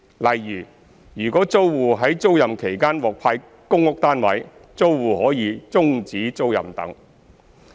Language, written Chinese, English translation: Cantonese, 例如，如果租戶在租賃期間獲派公屋單位，租戶可以終止租賃等。, For instance if the tenant is allocated with a PRH unit during hisher tenancy the tenant is allowed to terminate the tenancy etc